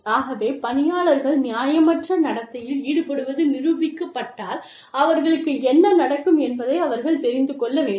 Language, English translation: Tamil, So, the employee should know, what will be done to the employee, if it is proven that the, employee engaged in, unreasonable behavior